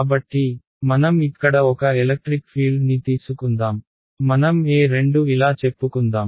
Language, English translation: Telugu, So, let us take a electric field over here let us say, like let us say E 2 is pointing like this right